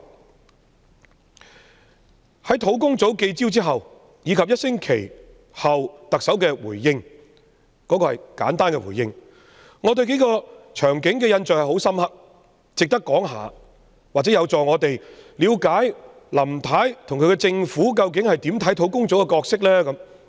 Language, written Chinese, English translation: Cantonese, 專責小組舉行的記者招待會及1星期後特首的簡單回應，有數個場景令我印象十分深刻，值得一提，或者有助我們了解林太及其政府如何看待專責小組的角色。, As regards the press conference held by the Task Force and the brief response given by the Chief Executive a week later it is worth noting that several episodes have left a deep impression on me which may help us discern how Mrs LAM and her administration see the role of the Task Force